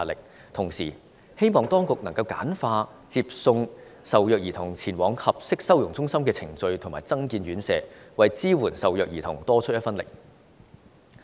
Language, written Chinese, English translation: Cantonese, 與此同時，我希望當局簡化接送受虐兒童前往合適收容中心的程序，並增建院舍，為支援受虐兒童多出一分力。, At the same time I hope the authorities will simplify the procedure for sending child abuse victims to and from the appropriate childrens shelter and build more shelters for the victims as extra efforts to support these victims